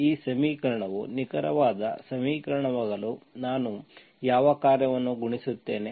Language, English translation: Kannada, What function I multiply so that this equation becomes an exact equation